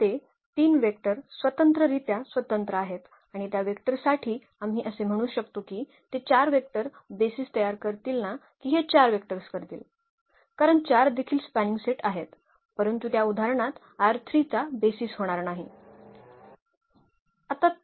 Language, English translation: Marathi, So, those 3 vectors they are linearly independent and for those vectors we can call that they will form a basis not the 4 vectors because 4 are also spanning set, but that will not be the basis of R 3 in that example